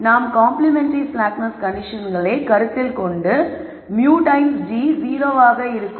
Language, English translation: Tamil, So, going back to the complementary slackness condition we saw that we will have mu times g is 0